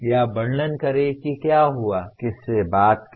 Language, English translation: Hindi, Or describe what happened at …